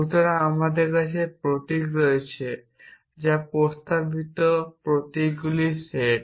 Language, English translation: Bengali, So, we have symbols which is set of proposition symbols